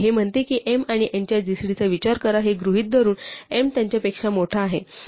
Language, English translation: Marathi, It says consider the gcd of m and n assuming that m is bigger them n